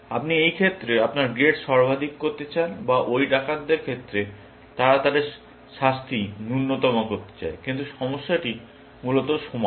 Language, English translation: Bengali, You want to maximize your grade in this case, or in the case of those robbers; they want to minimum their punishment, but the problem are equivalent, essentially